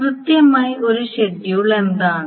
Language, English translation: Malayalam, So what is first of all a schedule